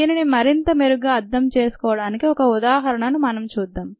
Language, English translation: Telugu, let us see an example to understand this a little better